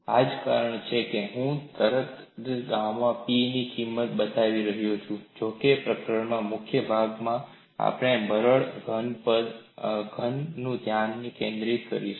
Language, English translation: Gujarati, That is the reason why I am showing right away the value of gamma P, although in this chapter, in the major portion we would focus on brittle solids